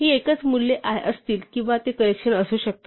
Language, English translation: Marathi, So, these will be single values or they could be collections